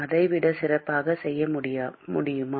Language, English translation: Tamil, can we do it better than that